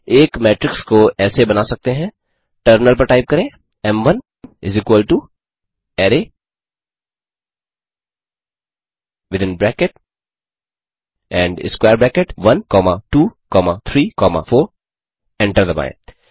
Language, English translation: Hindi, A matrix may be created as, Type in the terminal m1 = array within bracket and square bracket 1 comma 2 comma 3 comma 4 hit enter